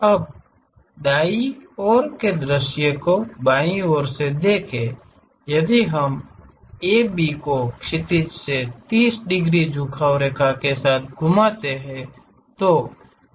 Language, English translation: Hindi, Now, the other front view from the right side view left side view if we are looking at rotate AB with 30 degrees inclination line from the horizontal